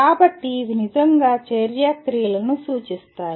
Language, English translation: Telugu, So these represent really action verbs